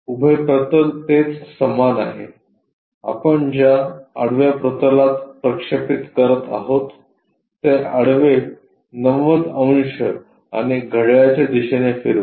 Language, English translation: Marathi, Vertical plane remains same on to a horizontal plane we are projecting, rotate this horizontal by 90 degrees and clockwise